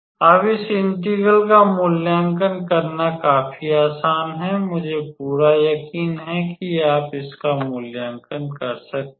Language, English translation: Hindi, Now evaluating this integral is fairly easy, I am pretty sure you can be able to evaluate